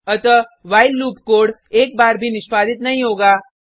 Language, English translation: Hindi, So, the while loop code will not be executed even once